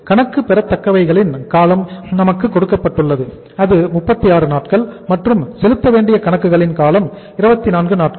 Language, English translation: Tamil, Duration of the uh say accounts receivables is also given to us and that is 36 days and duration of accounts payable is 24 days